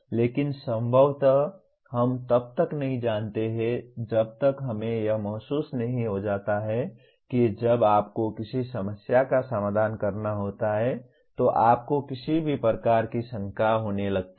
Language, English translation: Hindi, But possibly we do not know until we realize when you have to solve a problem you start getting any number of doubts